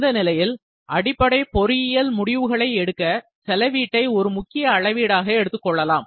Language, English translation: Tamil, So, cost can be readily used as an important metric on which to base engineering decisions are made